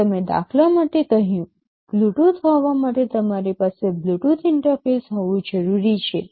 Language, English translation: Gujarati, Just for the example I cited, for having Bluetooth you need to have a Bluetooth interface